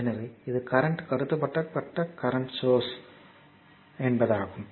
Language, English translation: Tamil, So, it is current controlled current source CCCS we call right